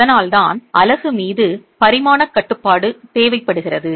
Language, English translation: Tamil, That's why there is dimensional control on the unit which is required